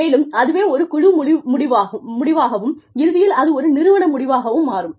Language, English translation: Tamil, And, that becomes a team outcome, and eventually, an organizational outcome